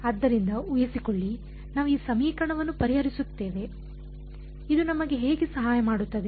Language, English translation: Kannada, So, supposing even if suppose, we solve this equation how will this help us